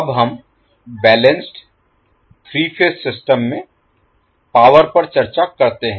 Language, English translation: Hindi, Now let us discuss the power in the balance three phase system